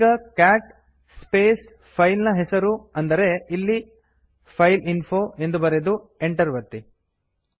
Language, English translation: Kannada, Just type cat space and the name of the file , here it is fileinfo and press enter